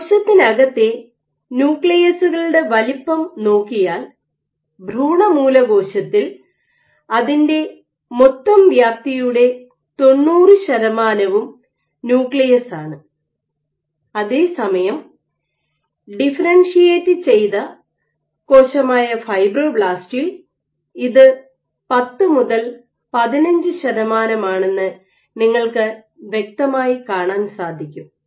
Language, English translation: Malayalam, So, if you look at the nuclei sizes inside the cell, we think of an embryonic stem cell the nucleus occupies nearly 90 percent of the whole volume, while in a differentiated cell like a fibroblast, this is ordered 10 to 15 percent you can clearly see